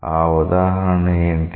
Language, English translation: Telugu, What is that example